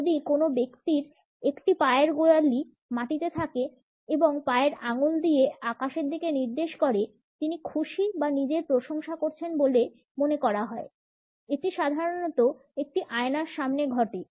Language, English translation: Bengali, If a person has the heel of one foot on the ground with the toes pointed to the sky; he or she is happy or admiring themselves; this usually happens in a mirror